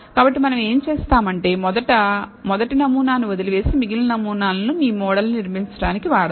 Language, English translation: Telugu, So, what we will do is you first leave out the first sample and use the remaining samples for building your model